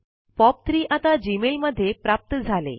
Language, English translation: Marathi, POP3 is now enabled in Gmail